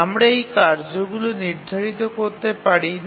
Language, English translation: Bengali, We cannot schedule this task set